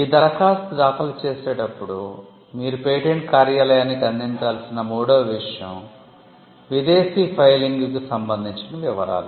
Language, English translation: Telugu, Third thing that you need to provide to the patent office while filing an application is, details with regard to foreign filing